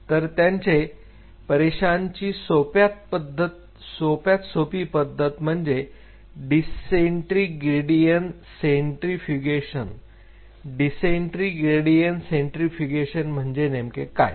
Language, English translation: Marathi, So, one of the simplest ways of cell separation is called density gradient centrifugation density gradient centrifugation what really is density gradient centrifugation